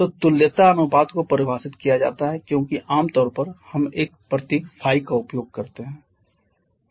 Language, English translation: Hindi, So, the equivalence ratio is defined as generally we use a symbol Phi